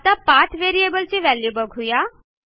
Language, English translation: Marathi, Lets see the value of the path variable